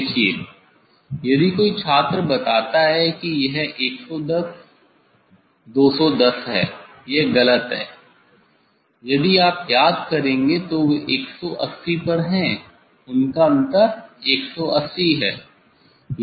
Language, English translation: Hindi, See if some student tells sir it is 110 210 it is wrong if you remember that they are at 180, they are difference is 180